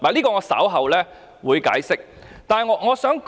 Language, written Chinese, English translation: Cantonese, 我稍後會解釋這點。, I will explain it later